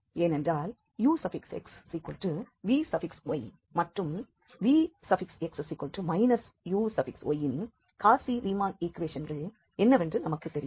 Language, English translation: Tamil, And now with this u and v we can check the Cauchy Riemann equations